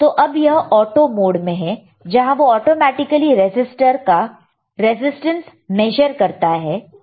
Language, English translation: Hindi, So, this is in auto mode so, it will automatically measure the resistance of the resistor, all right